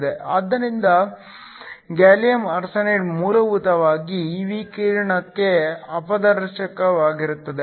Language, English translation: Kannada, So, that gallium arsenide is essentially opaque to this radiation